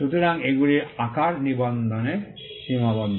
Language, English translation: Bengali, So, these are limits to the registration of shapes